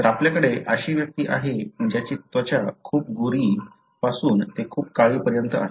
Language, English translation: Marathi, So, you have individual that have very, very fair skin to very dark skin